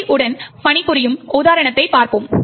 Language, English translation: Tamil, Let us look at an example of working with GOT